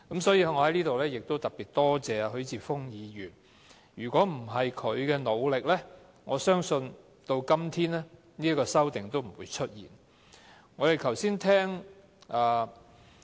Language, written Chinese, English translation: Cantonese, 所以，我在此特別多謝許智峯議員，如果不是他的努力，我相信直至今天，也不會出現這項修訂。, I must therefore give Mr HUI Chi - fung my special thanks here . I believe that had it not been for his efforts the amendment would not have come into being today